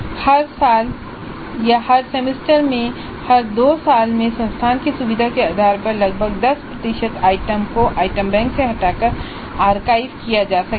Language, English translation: Hindi, Every year or every semester or every two years depending upon the convenience of the institute, about 10% of the items can be archived, removed from the item bank and archived